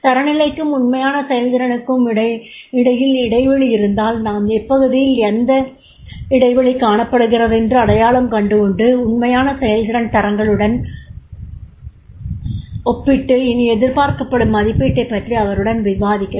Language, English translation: Tamil, If there is a gap between the standards and actual performance, then we can identify there are the areas and compare the actual performance with the standards and discuss the appraisal